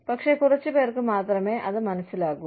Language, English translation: Malayalam, But, few understand it